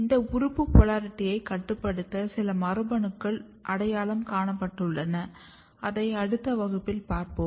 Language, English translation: Tamil, There are some of the genes which has been identified to regulate this organ polarity we will discuss in the next class